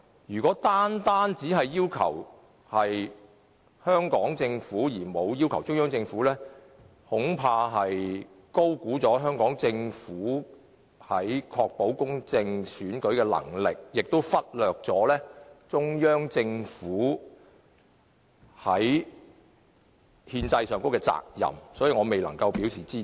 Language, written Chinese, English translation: Cantonese, 如果單單只要求香港政府，而沒有要求中央政府，恐怕是高估了香港政府確保公正選舉的能力，亦忽略了中央政府在憲制上的責任，故此我未能支持。, By urging the Hong Kong Government alone but not the Central Government to do the same I am afraid they have overestimated the capability of the Hong Kong Government of ensuring a fair election and have also overlooked the Central Governments constitutional duty